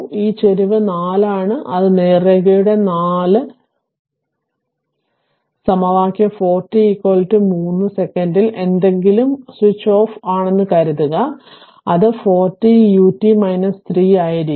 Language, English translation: Malayalam, This slope is 4 slope is 4 equation of that straight line is 4 t and at t is equal to 3 second suppose something is switched off, then it will be your 4 t u t minus 4 t u t minus 3 right